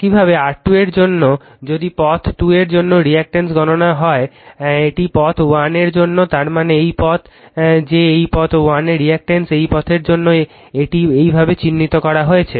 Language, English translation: Bengali, Similarly, for R 2 if you calculate reactance for path 2, this is for path 1; that means, this path right that reactance of this path 1 is for this path it is marked as like this